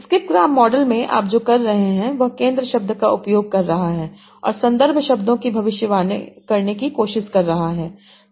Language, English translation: Hindi, In the skipgram model, what you are doing, you are using the center word and trying to break the context words